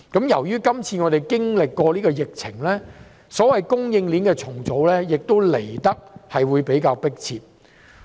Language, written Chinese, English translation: Cantonese, 因應今次經歷的疫情，所謂供應鏈的重組，也會來得比較迫切。, The restructuring of supply chains has become more urgent due to the epidemic